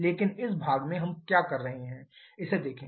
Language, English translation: Hindi, But look at what we are doing in this part